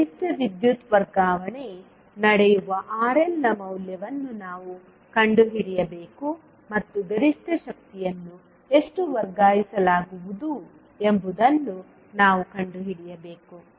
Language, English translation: Kannada, We need to find out the value of RL at which maximum power transfer will take place and we need to find out how much maximum power will be transferred